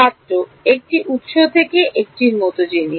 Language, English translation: Bengali, Thing like a from a source